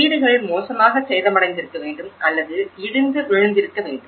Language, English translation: Tamil, Houses should be badly damaged or collapse